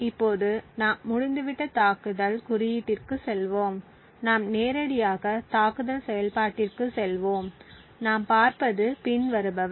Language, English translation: Tamil, So, we will now go to the attack code it is over here and we will just jump directly to the attack function and what we see is the following